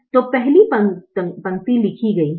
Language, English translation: Hindi, so the first row is written